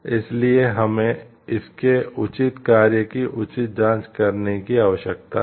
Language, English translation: Hindi, So, that we need to have a proper check on it is proper function